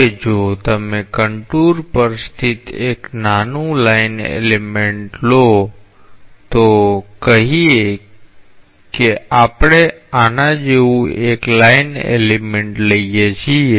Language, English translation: Gujarati, Now, if you take a small line element located on the contour, let us say that we take a line element like this